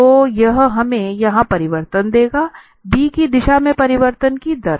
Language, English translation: Hindi, So, this will give us the change here, the rate of change in the direction of this b